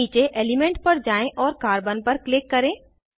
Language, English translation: Hindi, Scroll down to Element and click on Carbon